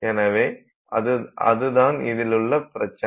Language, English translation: Tamil, So, that is the problem that you have